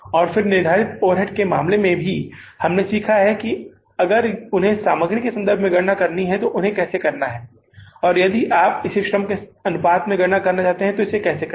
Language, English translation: Hindi, And in case of the fixed overhead variance we learned if they are to be calculated in relation to the material, how to calculate that, if it in proportion to the labor, how to calculate that